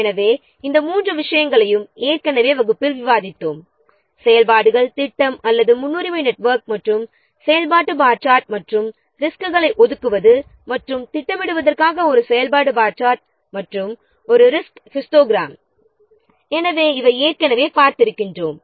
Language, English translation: Tamil, So, these three things already we have discussed in the last class how to what construct activity plan or a precedence network and the activity bar chart and a resource histogram in order to or for allocating and scheduling the resources